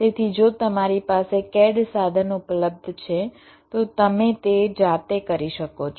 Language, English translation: Gujarati, so if you have the cat tool available with you you can do it yourself